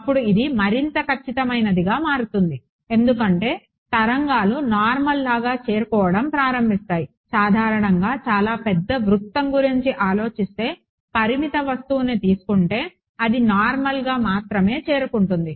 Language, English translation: Telugu, So, this becomes more and more accurate because waves will more or less begin to reach normally think of a very large circle right whatever reaches that will reach only normally assuming a finite object